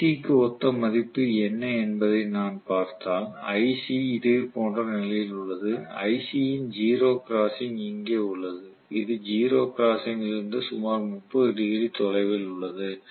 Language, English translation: Tamil, And if I look at what is the value corresponding to ic right, ic is also at similar juncture the 0 crossing is here for ic and this is also about 30 degrees away from the 0 crossing